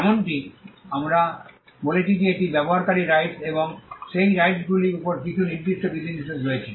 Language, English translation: Bengali, As we said these are rights of the user and there are certain restrictions on those rights